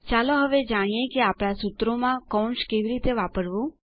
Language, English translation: Gujarati, Let us now learn how to use Brackets in our formulae